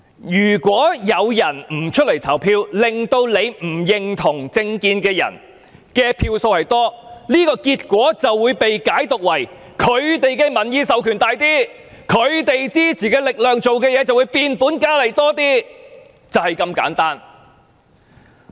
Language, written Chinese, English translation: Cantonese, 如果有市民不出來投票，令跟他們不同政見的候選人得票較多，這個結果便會被解讀為，那些候選人有較大的民意授權，他們支持的事情便會壯大，就是這麼簡單。, If certain electors refuse to cast their votes with the result that those candidates holding divergent political views obtain more votes this outcome will be interpreted to mean that these candidates command a stronger public mandate and it naturally follows that the matters they support will gain more momentum . The point is as simple as that